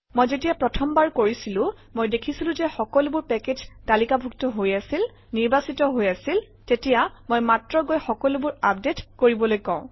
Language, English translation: Assamese, When I did first time, I found that all the packages had been listed, all the packages had been selected, then I just go and say update the whole thing